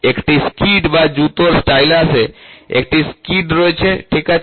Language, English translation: Bengali, A skid or a shoe stylus has a skid, ok